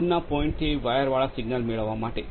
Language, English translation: Gujarati, To get the wired signal from far off points